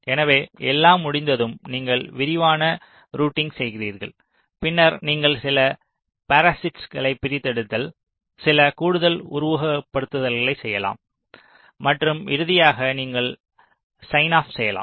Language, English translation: Tamil, so once everything is done, then you do detailed routing, then you can do some parasitic extraction, some additional steps of simulation and finally you proceed to sign off